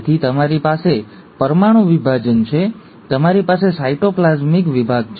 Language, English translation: Gujarati, So you have nuclear division, you have cytoplasmic division